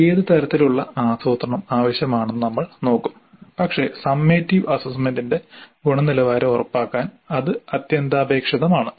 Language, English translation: Malayalam, We look at what kind of planning is required but that is essential to ensure quality of the summative assessment